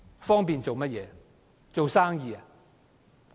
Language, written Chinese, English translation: Cantonese, 方便做生意？, For doing business?